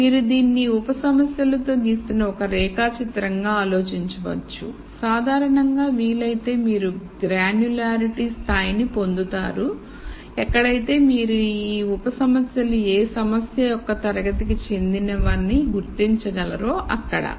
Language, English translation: Telugu, So, you can think of this like a flowchart that you are drawing with these sub problems and in general if possible you get to a granularity level where you are able to identify the class of problem that the sub problems belong to